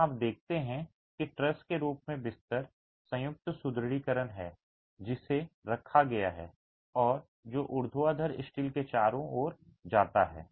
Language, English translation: Hindi, As you see in this picture here, you see that there is bed joint reinforcement in the form of a truss that is placed and that goes around the vertical steel itself